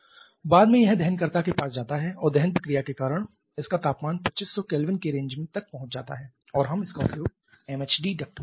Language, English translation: Hindi, Subsequently it goes to the combustor and because of the combustion reaction it temperature reaches to that 2500 kelvin range and we can use it in the MHD duct